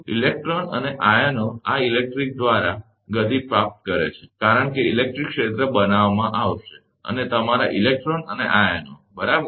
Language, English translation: Gujarati, The electrons and ions acquire motion by this electric, because electric field will be created and your electrons and ions, right